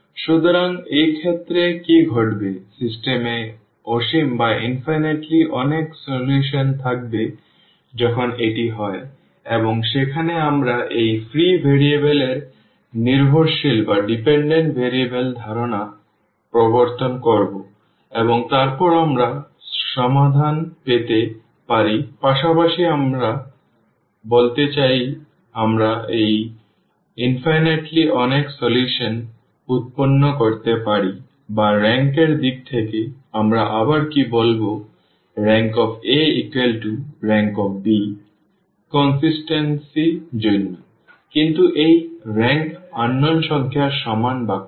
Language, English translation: Bengali, So, in this case what will happen, the system will have infinitely many solutions when this is the case and there we will introduce the concept of this free variables and dependent variables and then we can get the solution as well I mean some we can generate those infinitely many solutions or in terms of the rank what we will say again the rank of this A is equal to rank of b for the consistency, but this rank is less than equal to the number of unknowns